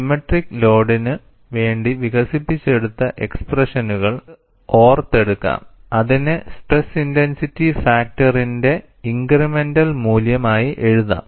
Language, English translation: Malayalam, We would just invoke the expressions that we have developed for a symmetric load, and write this for an incremental value of stress intensity factor